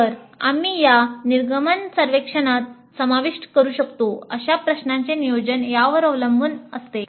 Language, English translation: Marathi, So, questions that we can include in the exit survey depend on such planning